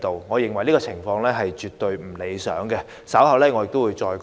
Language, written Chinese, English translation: Cantonese, 我認為這情況絕不理想，稍後我會再作解釋。, I think this is really unsatisfactory and I will explain that later